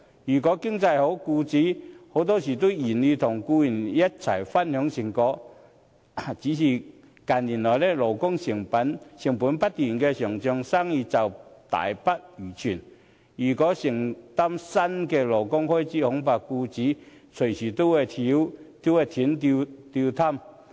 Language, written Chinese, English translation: Cantonese, 如果經濟好，僱主很多時都願意與僱員一同分享成果，只是近年來，勞工成本不斷上漲，生意大不如前，如要承擔新的勞工開支，恐怕僱主隨時都會"斷擔挑"。, When the economy blooms employers are often willing to share the profits with their employees . Since businesses are not as good as before due to escalating labour costs in recent years employers may go bankrupt anytime if they have to shoulder any new labour costs